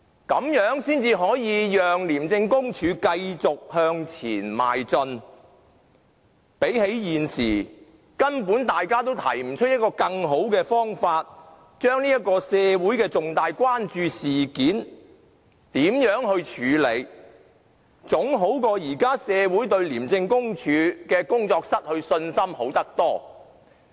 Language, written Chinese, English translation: Cantonese, 這樣才可以讓廉署繼續向前邁進，總比現時社會對廉署的工作失去信心，而大家又根本沒有更好的方法，來處理這項社會重大關注的事件好得多。, In this way ICAC can move ahead once again . This is far better than simply watching the loss of public confidence in ICACs work but having no better ways to deal with this incident of grave public concern